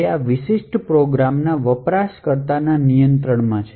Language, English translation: Gujarati, So, it is in control of the user of this particular program